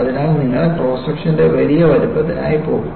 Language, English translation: Malayalam, So, you will go for a larger size of cross section